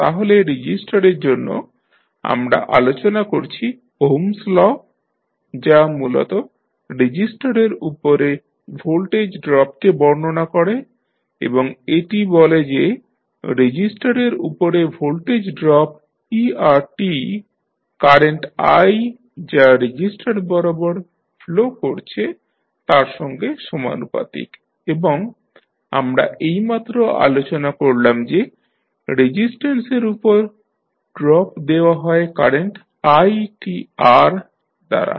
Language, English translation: Bengali, So, far resistors, we discussed that the Ohms law basically defines the voltage drop across the resistors and it says that the voltage drop that is er across a resistor is proportional to the current i flowing through the resistor and as we just discussed the drop across resistance is given by current i into resistance value R